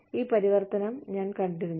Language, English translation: Malayalam, So, we have seen this transition